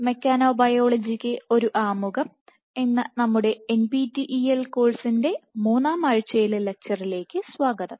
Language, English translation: Malayalam, Hello and welcome to a third week lecture of our NPTEL course introduction to mechanobiology